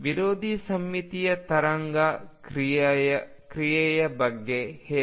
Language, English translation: Kannada, How about the anti symmetric wave function